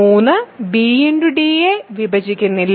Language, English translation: Malayalam, So, 3 does not divide b and d